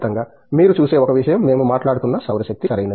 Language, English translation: Telugu, One thing that you see, the solar we were talking about, right